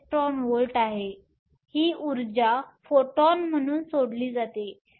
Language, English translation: Marathi, 42 ev; this energy is released as a photon